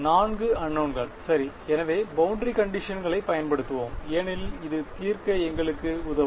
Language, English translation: Tamil, 4 unknowns alright; so, let us use the boundary conditions because that will help us to solve this